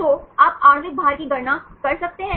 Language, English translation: Hindi, So, you can calculate the molecular weight